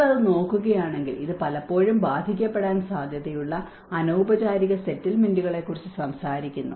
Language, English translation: Malayalam, And if you look at it, it talks about the informal settlements which are often tend to be affected